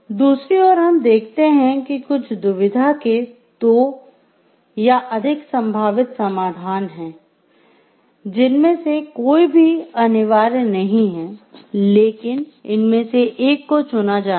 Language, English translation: Hindi, On the other hand, some dilemma have two or more possible reasonable solutions, no one of which is mandatory, but one of which should be chosen